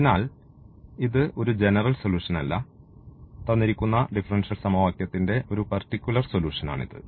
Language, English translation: Malayalam, So, this is no more a general solution, this is a particular solution of the given differential equation